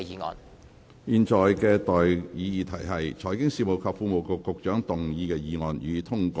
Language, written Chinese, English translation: Cantonese, 我現在向各位提出的待議議題是：財經事務及庫務局局長動議的議案，予以通過。, I now propose the question to you and that is That the motion moved by the Secretary for Financial Services and the Treasury be passed